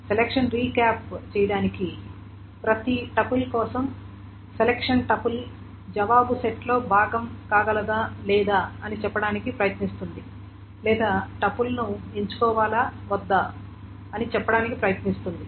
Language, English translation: Telugu, So selection, just to recap, selection, for every tuple, it tries to ascertain whether the tipple can be part of the answer set or not, whether the tipple should be selected or not